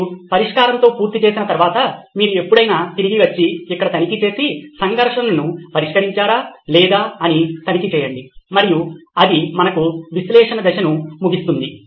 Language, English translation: Telugu, In that after you done with solve, you always come back and check here and check if the conflict is addressed or not and that ends the analyse stage for us